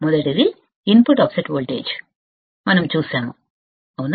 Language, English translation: Telugu, First, is input offset voltage, we have seen, right